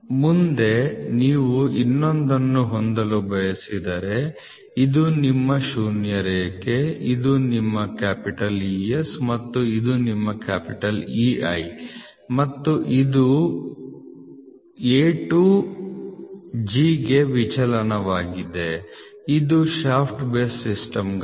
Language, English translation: Kannada, Next if you want to have for the other one so this is your zero line this is your zero line this is your ES and this is your EI and this is for deviation for A to G this is for a shaft base system